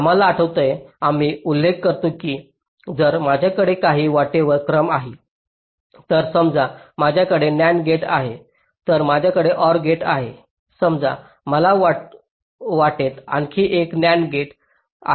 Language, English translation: Marathi, you recall we mention that if i have a sequence of gates along a path, let say i have an nand gate, then i have an or gate